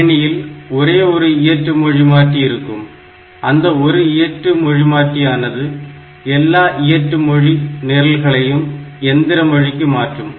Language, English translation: Tamil, And in the system, I can have a single assembler, and that single assembler can now convert all these assembly language programs into machine language